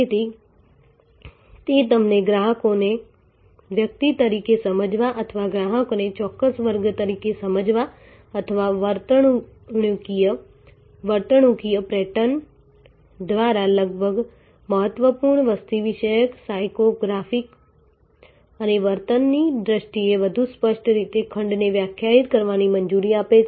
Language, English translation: Gujarati, So, it allows you to therefore, understand the customers as individuals or understand the customer as a particular class or define the segment much more clearly in terms of demographics, psycho graphics and behavior almost important by the behavioral patterns